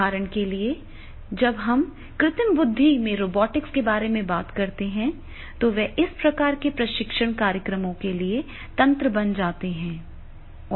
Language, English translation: Hindi, For example, when we talk about the robotics and artificial intelligence, then they are becoming the mechanisms for this type of the training programs